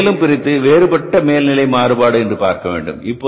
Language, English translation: Tamil, Now we will further dissect into variable overhead variance